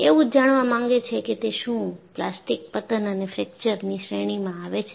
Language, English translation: Gujarati, They want to find out, whether it comes in the category of plastic collapse or fracture